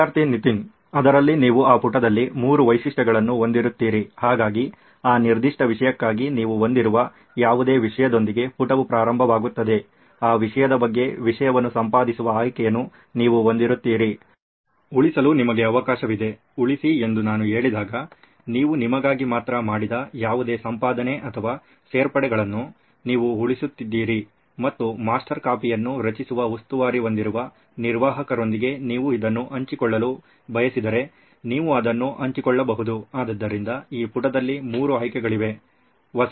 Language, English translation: Kannada, In that essentially you would have three features in that page, so the page would begin with whatever existing content you have for that particular subject, you would have the option to edit content on that subject, you would have the option to save, when I say save, you are saving whatever editing or additions that you have made only for yourself and if at all you want to share this with the administrator who would be in charge of creating the master copy you can share it as well, so there would be three options on this page